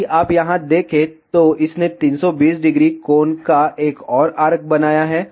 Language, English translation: Hindi, If you see here, it has created another arc of 320 degree angle